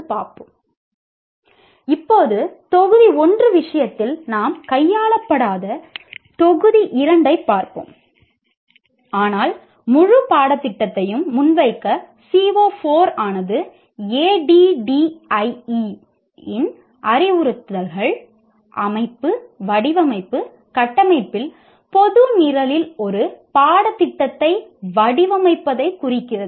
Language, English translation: Tamil, Now let us look at module 2 which we will not be dealing in the case of module 1 but to present the whole course CO4 deals with designing a course in general program in the instructional system design framework of ADDI